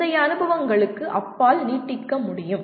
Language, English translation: Tamil, Can extend beyond previous experiences